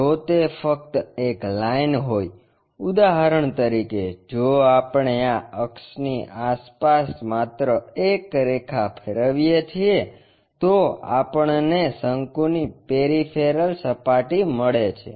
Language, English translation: Gujarati, If, it is just a line for example, only a line if we revolve around this axis, we get a peripheral surface of a cone